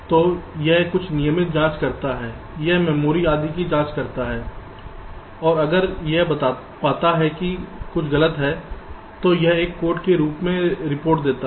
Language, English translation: Hindi, it checks memory, etcetera, and if it finds that something is wrong with reports with a code